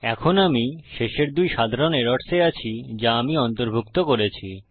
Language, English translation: Bengali, Right now I am onto the last two common errors that I have included